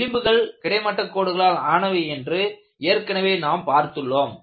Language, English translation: Tamil, We have already set that the contours have to be horizontal